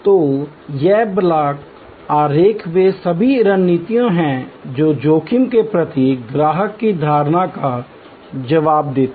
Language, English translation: Hindi, So, these block diagrams are all the strategies that respond to the customer's perception of risk